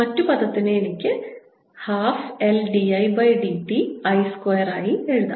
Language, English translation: Malayalam, the other term is this, one which i can write as one half l d by d t of i square